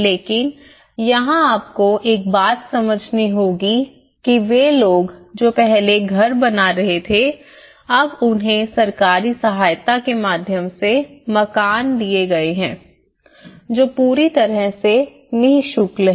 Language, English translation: Hindi, But here one thing you have to understand that they people who were having houses earlier but now they have been given houses through a government support which is completely land is free and the house is free